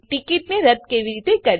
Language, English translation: Gujarati, AndHow to cancel the ticket.